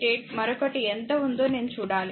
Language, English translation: Telugu, 88 another I have to see how much it is right